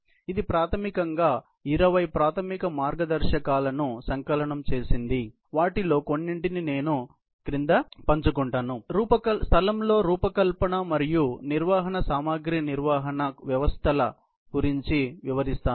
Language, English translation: Telugu, It has basically compiled about 20 basic guidelines, some of which I will be sharing below, for the designing and operating material handling systems in place